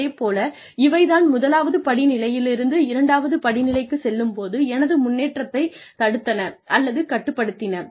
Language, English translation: Tamil, These are the things, that could limit, or stop, or impede, my progress from point, from step one to step two, and so on